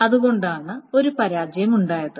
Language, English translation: Malayalam, So that is why there is a failure